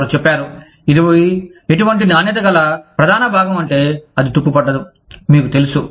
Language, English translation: Telugu, They said that, the bodies of such a quality, that it will not rust, you know